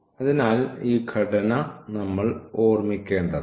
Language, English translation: Malayalam, So, this structure we must keep in mind